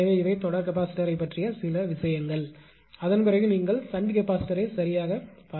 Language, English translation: Tamil, So, these are the certain things about the series capacitor and after that we will go for your what you call the shunt capacitor right